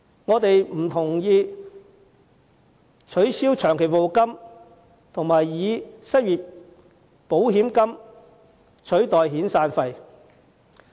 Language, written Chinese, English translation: Cantonese, 我們不同意取消長期服務金並以失業保險金取代遣散費。, We do not agree to abolish long service payment and replace severance payment with unemployment insurance fund